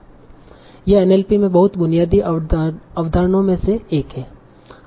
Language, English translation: Hindi, It's very, very, one of the very basic concepts in NLP